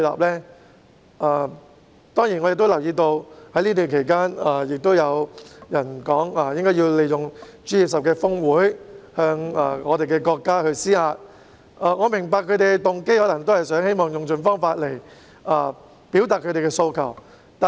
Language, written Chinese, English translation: Cantonese, 此外，我亦留意到在這段期間，有人表示要利用 G20 峰會向國家施壓，我明白他們的動機是想用盡方法來表達訴求。, What is more I have also noticed that some people have in the meantime stated that they would make use of the G20 Osaka Summit to put pressure on the State . I understand that their motive is to exhaust all the methods to express their appeals